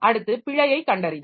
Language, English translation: Tamil, Then error detection